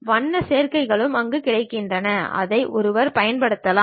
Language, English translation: Tamil, Color combinations also available there, which one can really use that